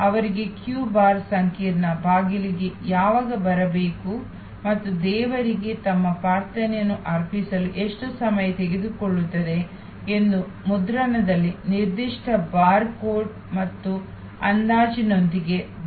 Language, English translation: Kannada, They are given a band with a particular bar code in print and an estimate, when they should arrive at the queue complex door and how long it will take them to offer their prayers to the deity